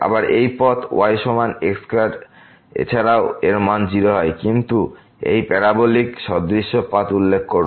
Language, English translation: Bengali, Again, this path is equal to square is also approaching to 0, but with this parabolic path